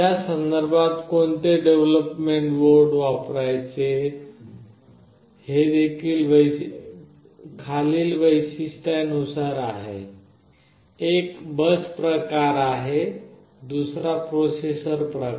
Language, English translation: Marathi, In that regard which development board to use is based on the following features; one is the bus type another is the processor type